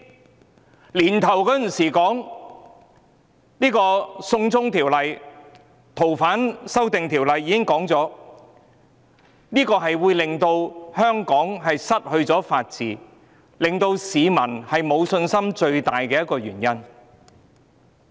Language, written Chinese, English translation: Cantonese, 今年年初，我們已指出修訂《逃犯條例》會令香港失去法治，亦是令市民失去信心的最大原因。, At the beginning of this year we pointed out that amending the Fugitive Offenders Ordinance would make Hong Kong lose its rule of law and this is also the greatest cause for the loss of confidence among the public